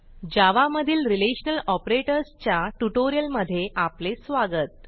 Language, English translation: Marathi, Welcome to the spoken tutorial on Relational Operators in Java